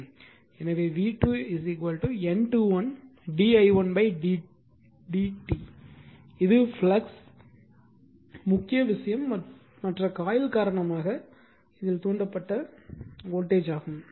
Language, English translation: Tamil, So, v 2 is equal to N 2 1 d i1 upon d t it is a in your induced voltage right due to the flux main thing the other coil